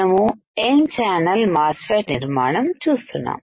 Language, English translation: Telugu, We are looking at N channel MOSFET fabrication